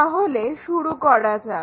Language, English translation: Bengali, Let us begin